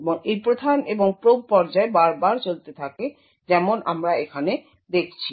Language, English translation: Bengali, And this prime and probe phase gets continues over and over again as we see over here